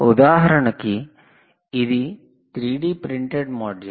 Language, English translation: Telugu, ah, this is a three d printed module